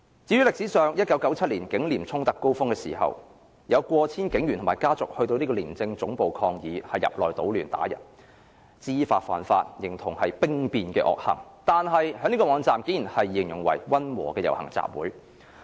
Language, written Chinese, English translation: Cantonese, 至於歷史上 ，1977 年警廉衝突高峰時，有過千警員及家屬到廉署總部抗議並入內搗亂打人，知法犯法，形同兵變的惡行，警隊的網站卻竟然形容為溫和的遊行集會。, In the climax of the conflict between the Police Force and ICAC in 1977 over 1 000 police officers and their relatives marched in protest to the ICAC headquarters causing a disturbance and assaulting people in knowingly violation of the law . But their mutiny - like vicious behaviours were described as a moderate possession and assembly in the website